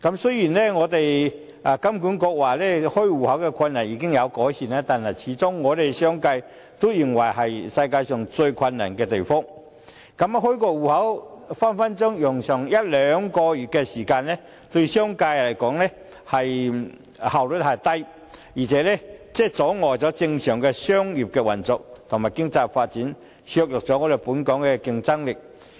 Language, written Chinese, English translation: Cantonese, 雖然金管局表示，開戶困難的問題已經有改善，可是，商界始終認為香港是全球最難開設戶口的地方，因為開一個戶口動輒要耗時一兩個月，對商界來說，這是效率低，而且阻礙了正常的商業運作和經濟發展，削弱了本港的競爭力。, Though HKMA said that the difficulties in account opening have been solved the business sector still considers it most difficult to open bank accounts in Hong Kong among other places around the world . Since it usually takes a month or two to open a new account the business sector considers it very inefficient . Besides this will impede the normal business operation and economic development thereby undermining the competitiveness of Hong Kong